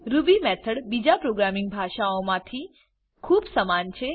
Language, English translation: Gujarati, Ruby method is very similar to functions in any other programming language